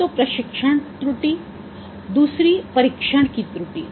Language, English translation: Hindi, One is that training error, another is test error